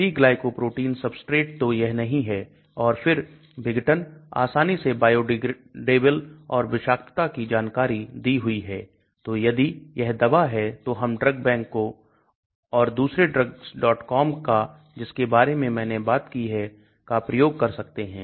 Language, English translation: Hindi, p glycoprotein substrate no so it does not and then bio degeneration readily biodegradable, and toxicity details are given so if it is a drug then we can use the DRUGBANK and also other one I talked about drugs